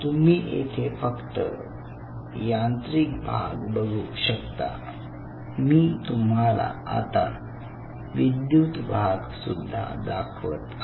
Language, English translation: Marathi, so here you only see the mechanical part of it and i will introduce the electrical part of it soon